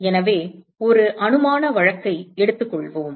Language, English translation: Tamil, So, let us take a hypothetical case